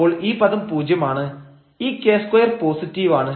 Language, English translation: Malayalam, So, in that case this term is 0 and here the k is 0